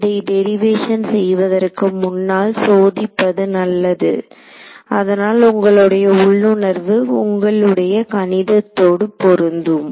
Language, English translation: Tamil, So, it is good to do this check before you do the derivation so that, you know your intuition matches your math